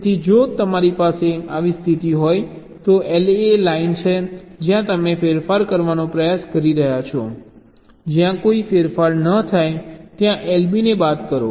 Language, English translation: Gujarati, so if you have a condition like this, l a is the line where your trying to make the change, minus l b, the line where this no change